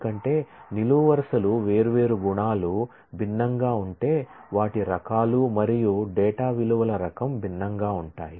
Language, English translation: Telugu, They because certainly if the columns are different attributes are different their types and type of data values would be different